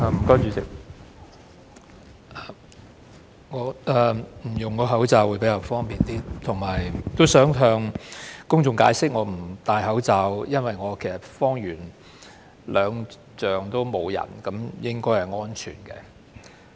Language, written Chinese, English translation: Cantonese, 代理主席，我不戴口罩發言會比較方便，而且想向公眾解釋，我不佩戴口罩是因為我方圓兩丈也沒有人，應該是安全的。, Deputy Chairman it is more convenient for me to speak without wearing the mask . And I want to explain to the public that there is no one within 20 feet around me so it should be safe